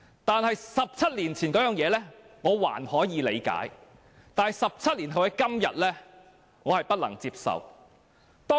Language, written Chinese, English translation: Cantonese, 不過 ，17 年前的情況，我尚可理解 ；17 年後今天的情況，我不能接受。, Although I can appreciate what happened 17 years ago I cannot accept what happens today